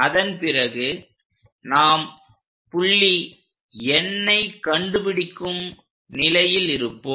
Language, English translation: Tamil, Once it is done, we will be in a position to locate a point N